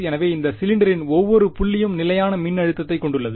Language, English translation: Tamil, So, every point on this cylinder has constant voltage